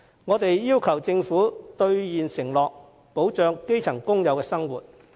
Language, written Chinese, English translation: Cantonese, 我們要求政府兌現承諾，保障基層工友的生活。, We call on the Government to honour its pledge to protect the life of grass - roots workers